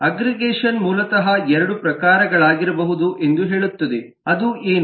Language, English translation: Kannada, that aggregation basically can be of 2 types